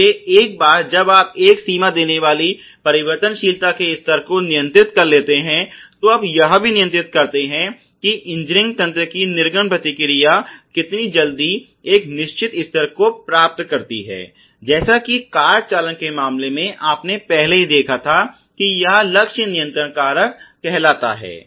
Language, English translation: Hindi, So, once you have controlled the variability level giving a range, you also control how quickly the output response of an engineering system achieves a certain particular level as in the case of car steering you already saw it is call the target control factor